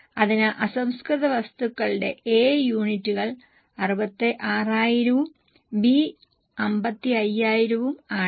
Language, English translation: Malayalam, So, A, units of raw material are 66,000 and B are 55,000